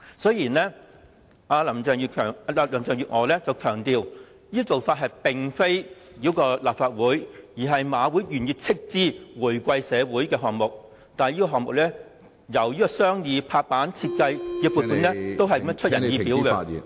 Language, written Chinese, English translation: Cantonese, 雖然林鄭月娥強調，這做法並非繞過立法會，而是香港賽馬會願意斥資回饋社會。但是，這個項目由商議、落實、設計的撥款都是出人意表......, While Carrie LAM stressed that the Government had not circumvented the Legislative Council and HKJC was willing to make contributions to society the arrangement of the project from deliberation implementation to funding the design was surprising